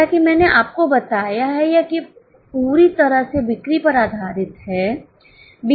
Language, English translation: Hindi, As I have told you it is totally based on sales first of all